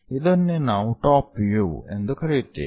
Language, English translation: Kannada, This is what we call top view